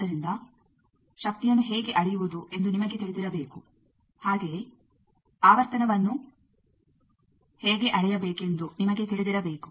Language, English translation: Kannada, So, you should know how to measure power, also you should know how to measure frequency